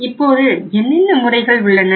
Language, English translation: Tamil, Now what are the modes